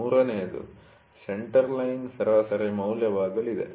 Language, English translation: Kannada, The third one is going to be the Centre Line Average